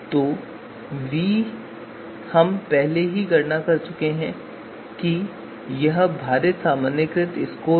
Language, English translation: Hindi, So v which is which we have already computed this is the weighted normalized scores